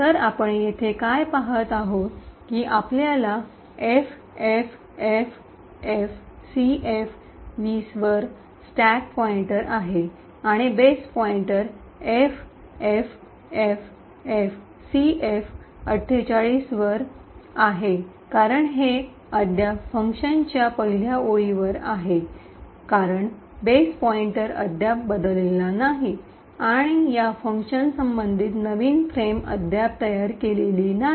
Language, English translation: Marathi, So, what we see here is that we have a stack pointer which is at FFFFCF20, ok, and the base pointer is at FFFFCF48 now since this is still at the first line of function the base pointer has not been changed as yet and the new frame corresponding to this function has not been created as yet